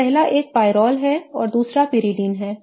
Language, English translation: Hindi, So, the first one is pyrol and the next one is is pyridine